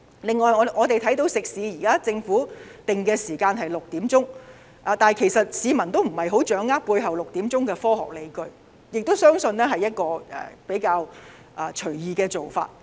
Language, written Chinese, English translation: Cantonese, 此外，我們看到食肆方面，政府現在限制晚上6時後不能堂食，但市民根本不掌握這措施背後的科學理據，相信是一個比較隨意的做法。, Moreover we can see that the Government has imposed a dine - in services ban on restaurants after 6col00 pm . But the public cannot grasp the scientific rationale behind this measure which was believed to be a random decision